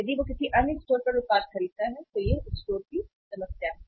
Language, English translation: Hindi, If he buys the product at another store then it is a problem to the store